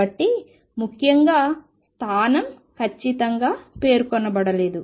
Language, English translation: Telugu, So, notely the position is not specified exactly